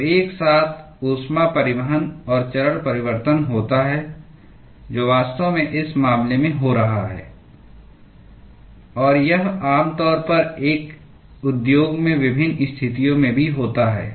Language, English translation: Hindi, So, there is simultaneous heat transport and phase change which is actually occurring in this case and this also is commonly encountered in the various situations in an industry